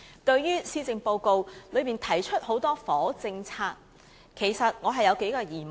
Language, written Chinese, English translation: Cantonese, 對於施政報告提出的許多房屋政策，其實我有數項疑問。, Concerning the various housing policies proposed in the Policy Address actually I have a few queries